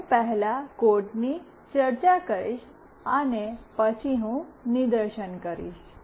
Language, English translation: Gujarati, I will be discussing the code first, and then I will demonstrate